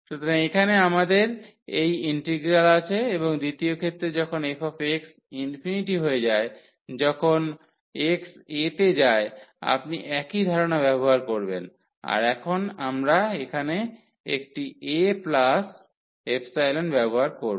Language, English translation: Bengali, So, here we have this integral and in the second case when f x goes to infinity as x goes to a you will use the same idea that now we will use here a plus epsilon